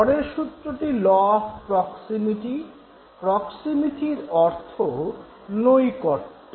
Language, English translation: Bengali, The next law is the law of proximity